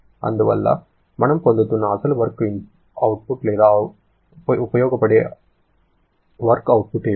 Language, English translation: Telugu, And therefore what is the actual work output or usable work output we are getting